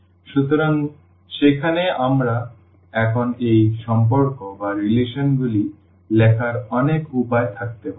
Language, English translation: Bengali, So, there we can have now many ways to write down these relations